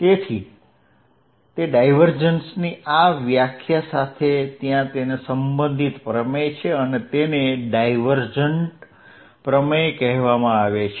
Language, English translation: Gujarati, So, that is the definition of divergence with this definition of divergence there is related theorem and that is called divergence theorem